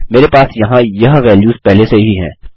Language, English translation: Hindi, I have had these values here before